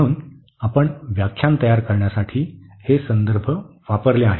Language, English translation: Marathi, So, these are the references we have used for preparing the lectures